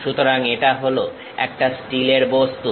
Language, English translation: Bengali, So, it is a steel object